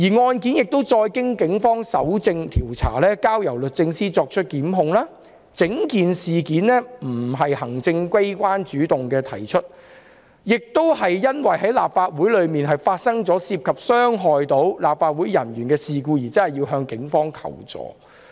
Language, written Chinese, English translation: Cantonese, 案件交由警方搜證調查，並由律政司作出檢控，整件事並非由行政機關主動提出，而是因為立法會內發生涉及傷害立法會人員的事故，需要向警方求助。, The case was referred to the Police for collection of evidence and investigation and prosecution was instituted by DoJ . The whole matter was not initiated by the executive . Rather it is an incident involving injury to an officer of the Legislative Council in the Council making it necessary to seek assistance from the Police